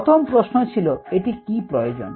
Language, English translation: Bengali, the first question to ask is: what is needed